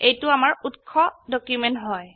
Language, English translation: Assamese, This is our source document